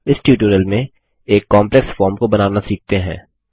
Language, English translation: Hindi, In this tutorial, let us learn about building a complex form